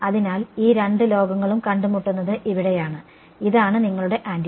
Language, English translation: Malayalam, So, here is where these two worlds will meet and this is your antenna right